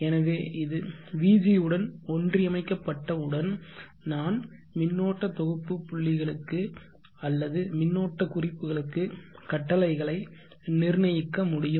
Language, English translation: Tamil, So once it is aligned along vg then I can set commands to the current set points or the current references